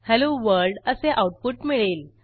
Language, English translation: Marathi, We get the output as Hello World